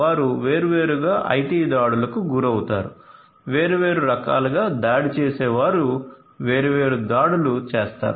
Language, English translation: Telugu, So, they are prone to IT attacks by different so there are different attackers who could be performing different attacks